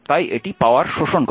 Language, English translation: Bengali, So, it absorbed power